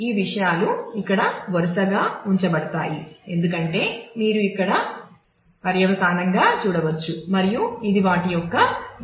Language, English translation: Telugu, So, these things are kept sequentially here as you can see there all consequentially here and this is the link key of those